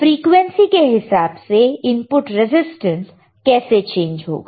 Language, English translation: Hindi, With respect to your frequency how input resistance is going to change right